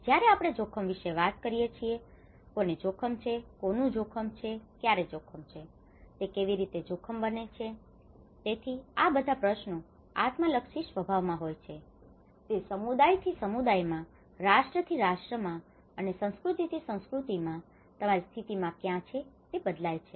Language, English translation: Gujarati, When we talk about risk, risk to whom, risk to what, risk at when okay, how it becomes a risk, so all these questions are very subjective in nature it varies from community to community, nation to nation and culture to culture and where your position is